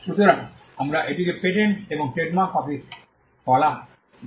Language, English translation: Bengali, So, we it used to be called the patent and trademark office